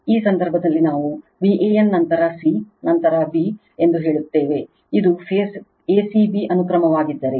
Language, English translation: Kannada, In this case in this case, we have taken say V a n, then c, and then b, if this is phase a c b sequence